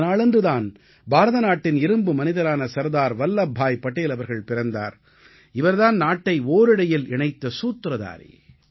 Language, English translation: Tamil, This day marks the birth anniversary of the Iron Man of India, Sardar Vallabhbhai Patel, the unifying force in bonding us as a Nation; our Hero